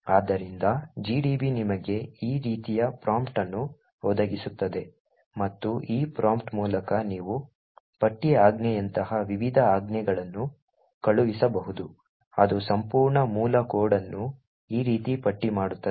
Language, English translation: Kannada, So gdb would provide you a prompt like this and through this prompt you could actually send various commands such as the list command which would list the entire source code like this